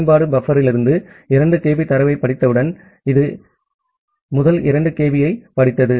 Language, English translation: Tamil, Once the application reads 2 kB of data from the buffer, so, it has this it has read this first 2 kB